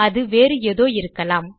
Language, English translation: Tamil, I think its something else